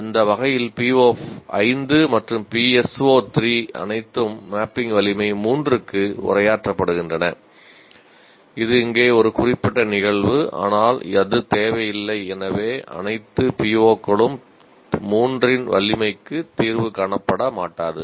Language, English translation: Tamil, In that sense, even PO5 and PSO3 are all addressed to mapping strength 3, which is a specific instance here, but it need not be so that all the POs will not get addressed to the strength of 3